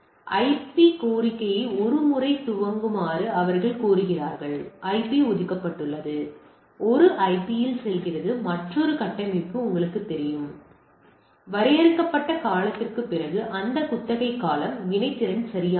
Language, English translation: Tamil, So, they request once boot the request for the IP; IP is allocated and it goes on IP another configuration is you know and those lease period after the period defined period goes on reactivity right